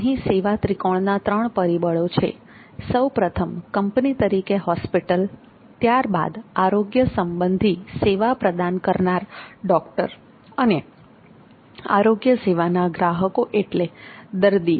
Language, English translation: Gujarati, The service triangle here are the hospital which is the company which is running the hospital and then there is the doctor who is provider of the healthcare service and patient who is the customer of the healthcare services